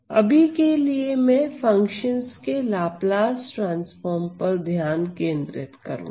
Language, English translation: Hindi, So, for the time being I am going to focus on Laplace transform of functions